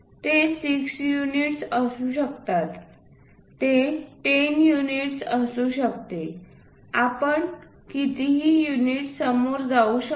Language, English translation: Marathi, It can be 6 units, it can be 10 units whatever the units we go ahead